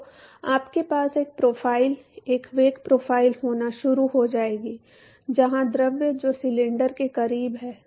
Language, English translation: Hindi, So, you will start having a profile a velocity profile where the fluid which is close to the cylinder